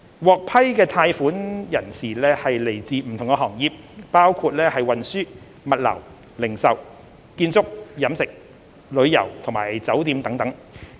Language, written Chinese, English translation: Cantonese, 獲批貸款的人士來自不同行業，包括運輸、物流、零售、建築、飲食、旅遊及酒店等。, The borrowers of the approved loans came from different industries including the transportation logistics retail construction catering tourism and hotel sectors